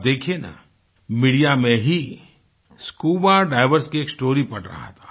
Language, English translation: Hindi, Just the other day, I was reading a story in the media on scuba divers